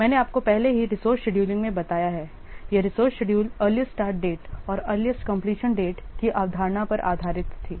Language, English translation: Hindi, This resource scheduling was based on the concept of earliest start date and earliest complete date